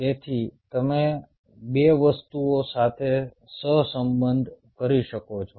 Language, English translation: Gujarati, so you can correlate two things